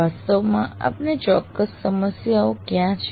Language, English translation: Gujarati, Where exactly do you have issues